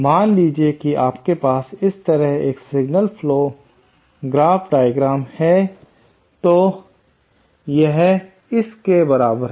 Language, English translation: Hindi, Suppose you have a signal flow graph diagram like this, then this is equivalent to this